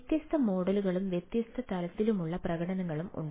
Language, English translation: Malayalam, right, and different models and different level of manifestation are there